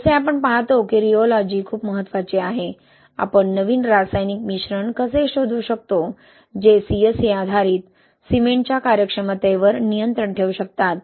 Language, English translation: Marathi, As we see the rheology is very important, how can we come up with the new chemical admixtures that can control the workability of the CSA based cement